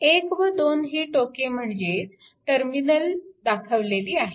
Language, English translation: Marathi, And terminal 1 and 2 is marked; terminal 1 and 2 is marked